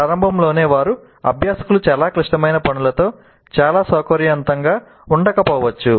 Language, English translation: Telugu, Now it's quite obvious that at the very beginning the learners may not be very comfortable with highly complex tasks